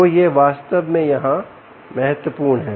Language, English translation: Hindi, so that's really the key here